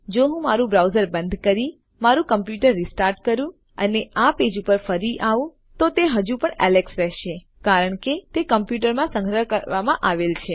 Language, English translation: Gujarati, Even if I close my browser, restart my computer and came back into this page, it will still read Alex because its been stored into the computer